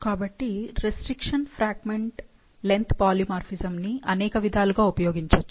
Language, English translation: Telugu, So, restriction fragment length polymorphism can be used to, can, has multiple applications